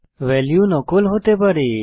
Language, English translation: Bengali, Value can be duplicate